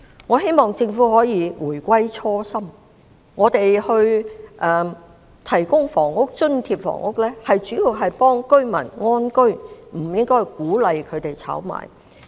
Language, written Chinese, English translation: Cantonese, 我希望政府可以回歸初心，政府提供津貼房屋的主要目的應是協助市民安居，而不是鼓勵他們炒賣。, I hope that the Government will return to the original intent . The major objective of the Government in providing subsidized housing is to enable the general public to live in contentment but not to encourage them to speculate